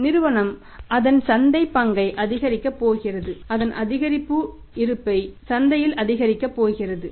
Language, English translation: Tamil, Firm is going to increase its market share increase presence in the market